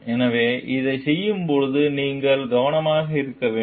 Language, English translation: Tamil, So, you have to be careful while doing this